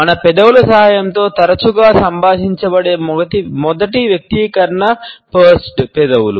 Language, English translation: Telugu, The first expression which is often communicated with the help of our lips is that of Pursed Lips